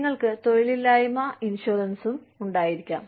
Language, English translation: Malayalam, You could also have, unemployment insurance